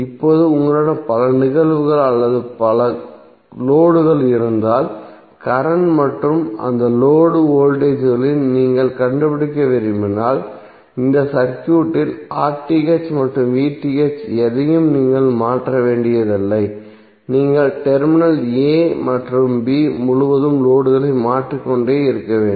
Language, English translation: Tamil, Now if you have multiple cases or multiple loads through which you want to find out the current and across those loads voltages, you need not to change anything in this circuit that is RTh and VTh you have to just keep on changing the loads across terminal a and b